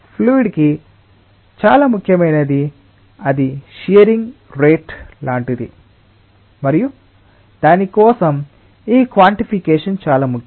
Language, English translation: Telugu, what is most important for a fluid is like the rate at which it is shearing, and for that this quantification is very, very important